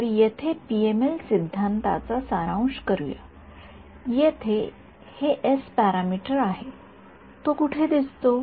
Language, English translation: Marathi, So, let us sort of summarize this PML theory over here this s 2 parameter over here where does it appear